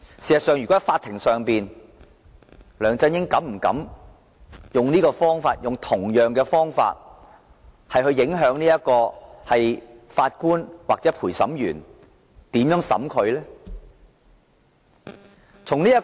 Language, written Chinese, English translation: Cantonese, 如果事件由法庭處理，梁振英會否膽敢以同樣的方法來影響法官或陪審員對他的審判？, If this incident was handled by the Court would LEUNG Chun - ying dare to use the same method to influence the judge or the jury in his trial?